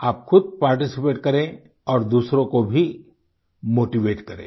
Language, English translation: Hindi, So do participate and motivate others too